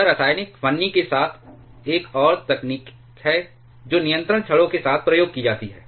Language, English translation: Hindi, This is another technology along this chemical shim is something that is used along with the control rods